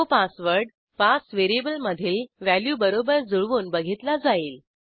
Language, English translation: Marathi, This checks that the entered password matches the value of the variable PASS